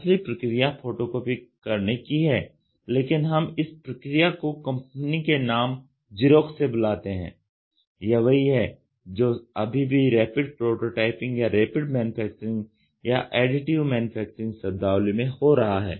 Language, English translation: Hindi, Actual process is photocopying, but we go ahead calling the process in terms of the company name that is what is even still happening in rapid prototyping or in Rapid Manufacturing or in Additive Manufacturing terminologies